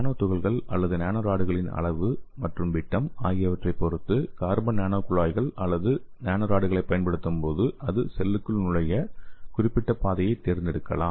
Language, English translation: Tamil, And again when you use the carbon nano tubes okay or nano rods depends on the size and depends on the diameter of the nano particles or nano rods so it can select the particular pathway to enter into the cell